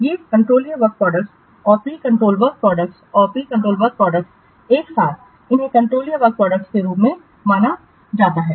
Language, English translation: Hindi, These controllable work products and pre controlled work products together they are known as controllable work products